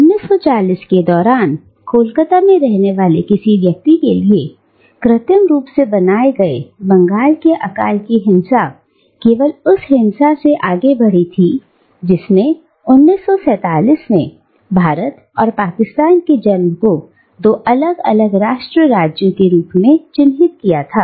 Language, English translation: Hindi, Indeed, for someone living in Calcutta during the 1940’s, the violence of the artificially created Bengal famine was only surpassed by the violence that marked the birth of India and Pakistan as two distinct nation states in 1947